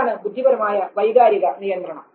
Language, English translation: Malayalam, This is cognitive emotional regulation